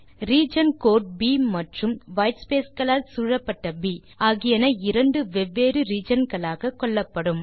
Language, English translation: Tamil, The region code B and a B surrounded by whitespace are treated as two different regions